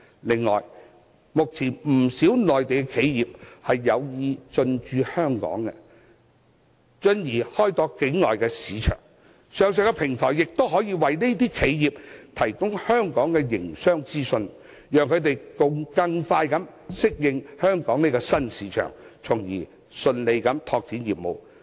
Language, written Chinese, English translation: Cantonese, 此外，目前不少內地企業有意進駐香港，進而開拓境外市場，上述平台亦可以為這些企業提供香港的營商資訊，讓它們更快適應香港這個新市場，順利拓展業務。, Moreover many Mainland enterprises are now interested in establishing their business in Hong Kong and then develop their offshore markets . The platform mentioned above can also provide business information on Hong Kong for these enterprises so that they can more quickly adapt to this new market and more smoothly develop their business here